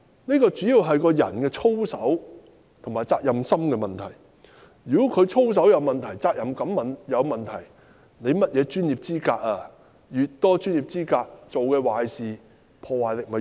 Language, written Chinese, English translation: Cantonese, 問題主要是關乎人的操守及責任心，如果一個人的操守和責任感有問題，即使他具備甚麼專業資格也沒有用。, The crux mainly lies in a persons integrity and his sense of responsibility . If a person has problems with his integrity and sense of responsibility no matter what professional qualifications he possesses it is still pointless